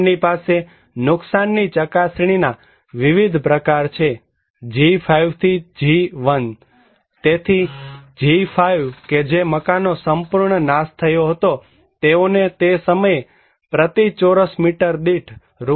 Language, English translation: Gujarati, They have different categories of damage assessment; G5 to G1, so G5 which was completely destroyed house, they can get that time Rs